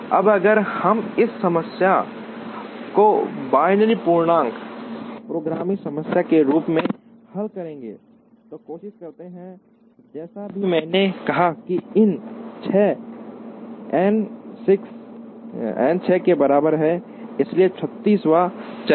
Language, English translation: Hindi, Now, if we try and solve this problem as a binary integer programming problem with, as I said n equal to 6, so there are 36 decision variables